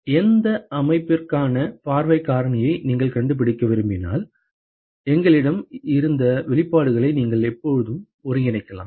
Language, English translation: Tamil, So, note that if you want to find the view factor for any system you can always integrate the expressions that we had